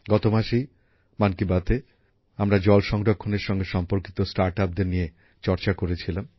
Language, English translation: Bengali, Last month in 'Mann Ki Baat', we had discussed about startups associated with water conservation